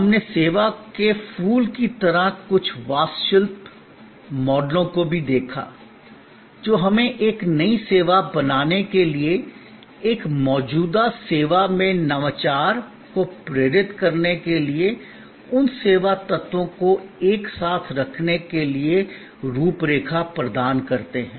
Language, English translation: Hindi, We also looked at certain architectural models, like the flower of service, which provide us frameworks for putting those service elements together to create a new service, to inspire innovation in an existing service and so on